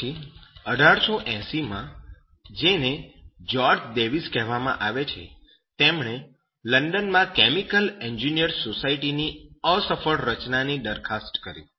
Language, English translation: Gujarati, After that 1880, is called George Davis, he proposed to the unsuccessful formation of the society of chemical engineers in London